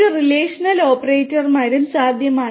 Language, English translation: Malayalam, A relational operators are also possible